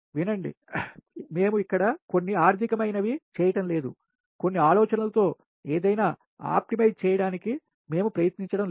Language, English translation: Telugu, listen, we are not doing here any economics, we are not trying to optimize anything, just just to have some ideas